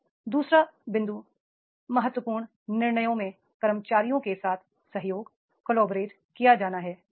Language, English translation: Hindi, Now, second point is collaborate with employees in relevant decisions